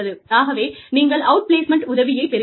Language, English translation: Tamil, So, you know, you have outplacement assistance